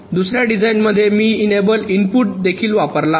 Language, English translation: Marathi, in the second design i have also used an enable input